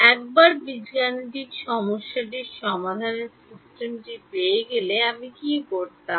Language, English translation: Bengali, Once I got the system of algebraic equations what did I do